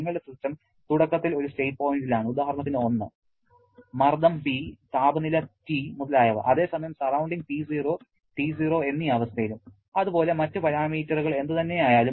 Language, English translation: Malayalam, Your system is initially at a point at a state point say 1, pressure is P, temperature is T etc whereas the surroundings at a condition of P0 and T0 and whatever may be the other parameter